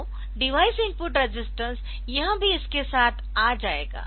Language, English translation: Hindi, So, that device is input resistance